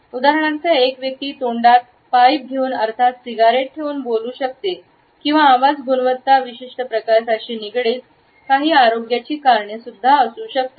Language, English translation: Marathi, For example, an individual might be speaking with a pipe in mouth or there may be certain health reasons for a particular type of voice quality